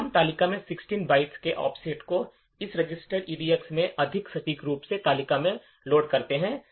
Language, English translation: Hindi, Then we load an offset in the table more precisely an offset of 16 bytes in the table into this register EDX